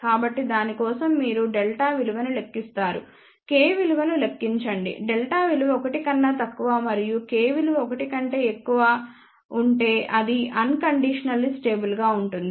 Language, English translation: Telugu, So, for that you calculate the value of delta, calculate the value of k, if delta is less than 1 and k is greater than 1 then it is unconditionally stable